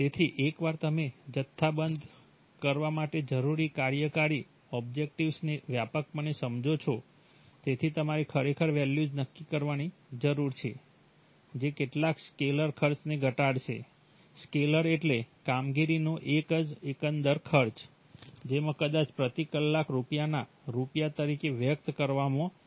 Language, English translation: Gujarati, So you have to, once you have the, you have, you broadly understand the operational objectives you need to quantify them, so you need to actually set values which will minimize some scalar cost, right, scalar means a single overall cost of operation, in perhaps expressed as rupees of rupees per hour